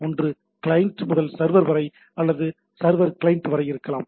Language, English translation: Tamil, So, either it can be from to client to the server or server to the client